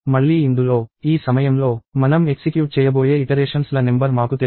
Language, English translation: Telugu, So, again in this, at this point, we do not know the number of iterations that we are going to execute